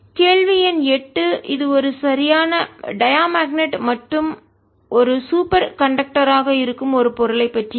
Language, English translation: Tamil, question number eight: it concerns a material which is a perfect diamagnetic and that is a superconductor